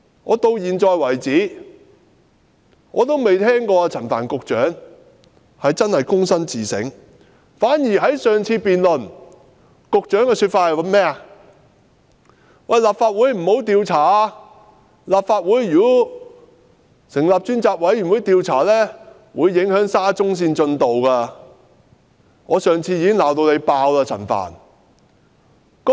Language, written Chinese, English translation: Cantonese, 我至今從沒聽到陳帆局長真的躬身自省，反而在上次辯論中，局長的說法是，立法會不應調查事件，若立法會成立專責委員會調查事件，會影響沙中線工程的進度。, So far I have never heard that Secretary Frank CHAN has done any genuine introspection . On the contrary during the last debate the Secretary said that the Legislative Council should not inquire into the issue . If the Legislative Council sets up a select committee to do so it will affect the progress of the SCL project